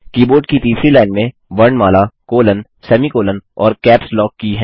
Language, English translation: Hindi, The third line of the keyboard comprises alphabets, colon/semicolon, and capslock key